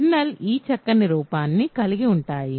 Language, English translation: Telugu, So, kernels have this nice form